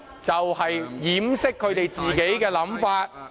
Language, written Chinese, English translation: Cantonese, 也是掩飾他們自己的想法......, they are just trying to cover up their real intention